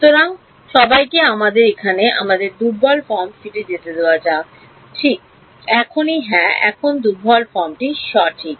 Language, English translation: Bengali, So, everyone is let us go back to our weak form over here right further still yeah here is the weak form right